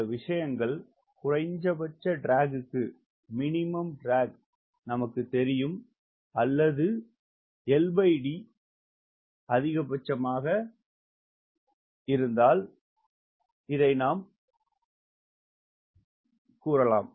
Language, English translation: Tamil, this thinks we know for minimum drag, or we write l by d maximum